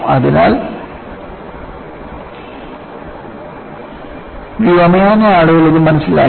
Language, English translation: Malayalam, So, aviation people understood this